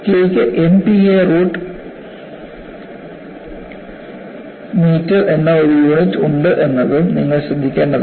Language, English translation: Malayalam, And you should also note down that K has a unit of MP a root meter